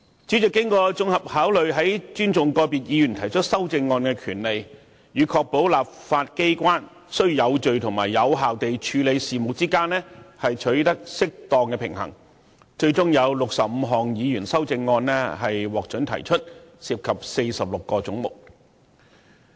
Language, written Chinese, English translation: Cantonese, 主席經整體考慮後，在尊重個別議員提出修正案的權利，以及確保立法機關有序及有效地處理事務之間取得適當平衡，最終准許議員提出65項修正案，涉及46個總目。, After giving this a comprehensive consideration the President struck a balance between respecting Members rights in raising amendments and ensuring the orderly and effective conduct of business . He finally permitted Members to raise 65 amendments which involve 46 heads